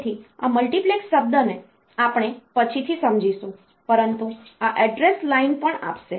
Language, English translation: Gujarati, So, will understand this multiplex term later, but this this will also provide the address line